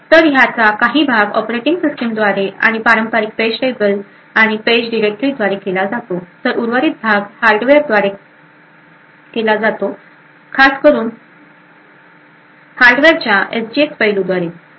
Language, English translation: Marathi, So, part of this is done by the operating system and the traditional page tables and page directories which are present the remaining part is done by the hardware especially the SGX aspects of the hardware